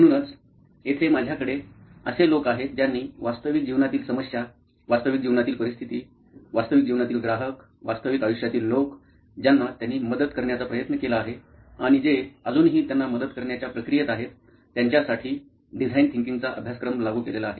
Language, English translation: Marathi, So here with me I have people who have experienced applying design thinking and practice in real life problems, real life situations, real life customers, real life people whom they have tried to help and they are still in that process of helping them